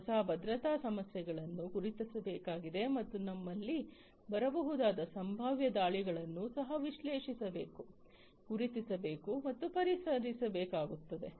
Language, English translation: Kannada, So, these new security issues will have to be identified and the potential attacks that can come in we will also have to be analyzed, identified and then resolved